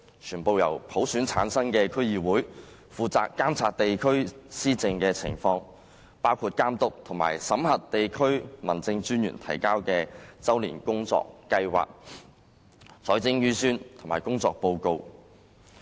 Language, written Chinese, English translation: Cantonese, 全部由普選產生的區議會負責監察地區施政的情況，包括監督及審核地區民政專員提交的周年工作計劃、財政預算及工作報告。, DCs to be returned fully by universal suffrage will be responsible for monitoring local administration including monitoring and vetting annual year plans budgets and work reports submitted by the local District Officers